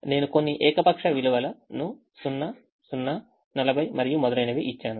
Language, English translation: Telugu, here i have given some arbitrary values: zeros, zeros forty, and so on